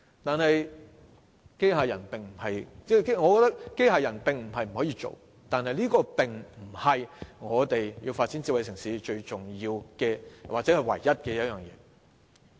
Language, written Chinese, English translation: Cantonese, 雖然我認為機械人不是不可購買，但這不是發展智慧城市最重要的或唯一的方法。, Though I do not think that robots cannot be purchased it is not the most important or only way to develop a smart city